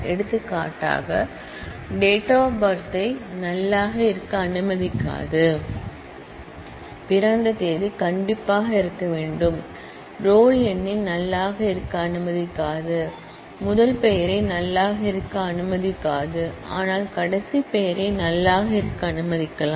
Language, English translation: Tamil, For example, will not allow D O B to be null able, date of birth has to be there, will not allow roll number to be null able, will not allow first name to be null able, but we may allow last name to be null able